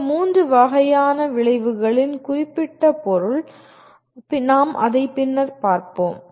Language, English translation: Tamil, The particular meaning of these three types of outcomes, we will look at it at a later stage